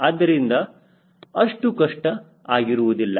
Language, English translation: Kannada, life is not that difficult